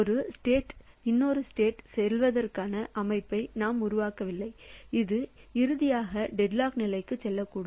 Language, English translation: Tamil, So, we do not make the system to go from one state to another such that it finally may go to deadlock state